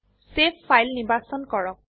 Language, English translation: Assamese, Select Save file option